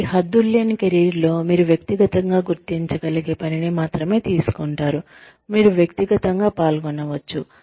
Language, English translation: Telugu, So, in boundaryless careers, you only take up work, that you can personally identify with, that you can personally get involved in, that seems meaningful to you